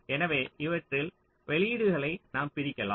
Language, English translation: Tamil, so maybe we are splitting outputs across these